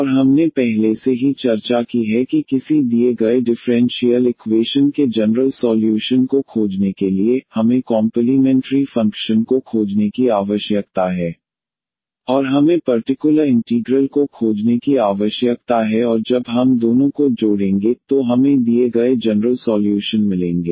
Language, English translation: Hindi, And also we have discussed already that to find the general solution of a given a differential equation, we need to find the complementary function and we need to find the particular integral and when we add the two, we will get the general solution of the given on homogeneous differential equation